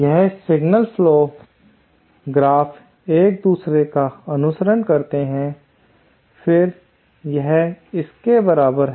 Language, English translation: Hindi, That is to signal flow graph following each other, then that is equivalent to this